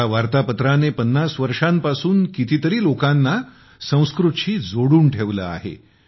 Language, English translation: Marathi, For 50 years, this bulletin has kept so many people connected to Sanskrit